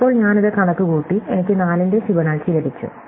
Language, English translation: Malayalam, So, now having computed this, we’ve got Fibonacci of 4